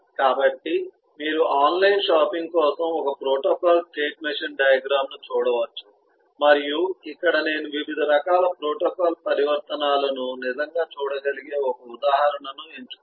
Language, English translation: Telugu, so you could eh look at a protocol, eh state machine diagram for online shopping and here eh, I have picked up an example where you can see really the different kinds of protocol transitions happening here